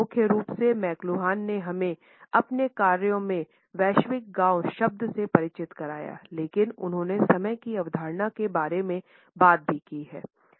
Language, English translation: Hindi, We primarily know McLuhan for introducing us to the term global village in his works, but he has also talked about the concept of time